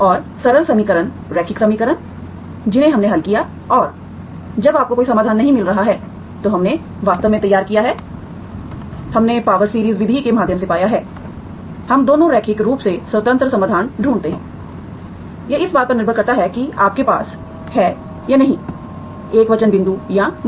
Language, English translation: Hindi, And simpler equations, linear equations we solved and when you cannot find any solution, we have actually devised, we found through power series method, we find both, 2 linearly independent solutions, so that depends on the point of whether you have singular point or not